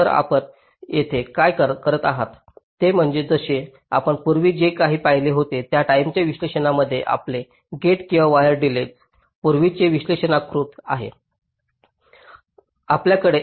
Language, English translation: Marathi, so what you do here is that, just like your timing analysis, whatever you had seen earlier, your gate or wide delays are pre characterized